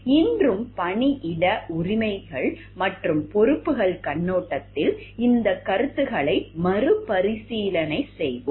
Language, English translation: Tamil, Also today we will have a relook into these concepts from the workplace rights and responsibilities perspective